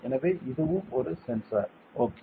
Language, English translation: Tamil, So, this is also a sensor ok